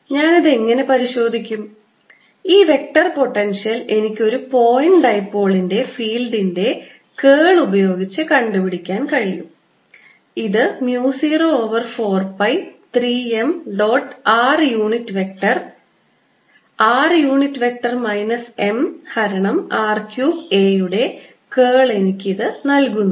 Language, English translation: Malayalam, this vector potential should be able to give me, through curl, the field due to a point dipole which should be equal to mu zero over four pi three m dot r unit vector r unit vector minus m divided by r cubed